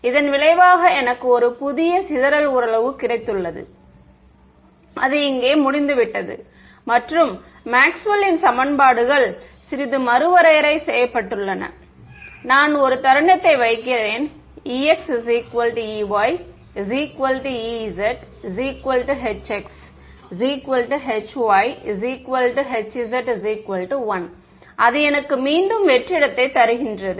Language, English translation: Tamil, As a result of which I got a new dispersion relation which is over here and Maxwell’s equations got redefined a little bit, the moment I put e x e y e z all of them equal to 1 I get back vacuum ok